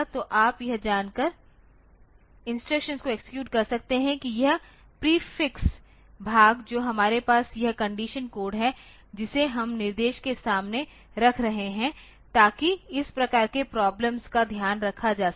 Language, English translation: Hindi, So, you can continue executing the instructions knowing that this prefix part that we have this conditional code that we are putting before the instruction so, that will take care of this type of problems ok